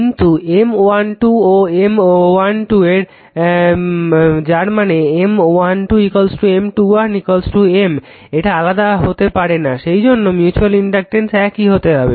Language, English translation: Bengali, But M 1 2 and M 1 2 are equal that is M 1 2 is equal to M 2 1 is equal to M it cannot be different right, this way have that way mutual inductance has to be same right